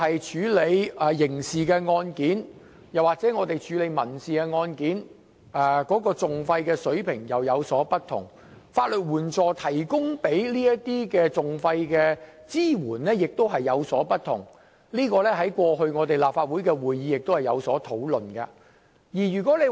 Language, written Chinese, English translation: Cantonese, 處理刑事案件和民事案件的訟費水平當然會有不同，而法律援助就這些訟費提供的支援亦有所不同，這點在過去的立法會會議亦曾討論。, The litigation costs incurred in handling criminal cases and civil cases are definitely different and the legal aid provided for respective litigation costs are also different . This point was discussed at meetings of the Legislative Council in the past